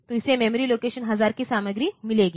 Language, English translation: Hindi, So, it will get the content of memory location 1000